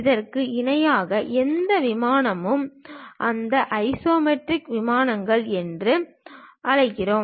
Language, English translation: Tamil, Any plane parallel to that also, we call that as isometric plane